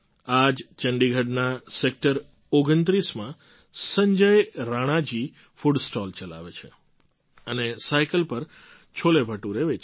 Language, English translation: Gujarati, In Sector 29 of Chandigarh, Sanjay Rana ji runs a food stall and sells CholeBhature on his cycle